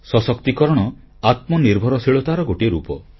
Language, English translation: Odia, Empowerment is another form of self reliance